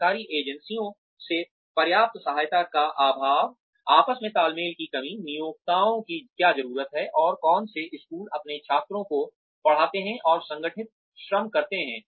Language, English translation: Hindi, Lack of adequate support from government agencies, lack of coordination between, what employers need, and what schools teach their students, and organized labor